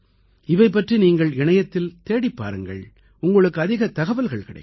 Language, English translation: Tamil, Search about them on the Net and you will find a lot of information about these apps